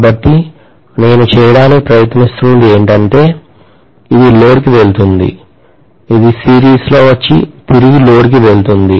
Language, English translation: Telugu, This is going to the load, this will come in series and go back to the load